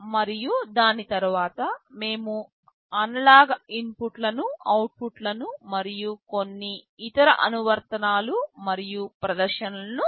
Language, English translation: Telugu, And subsequent to that we shall be looking at the analog inputs, outputs and some other applications and demonstrations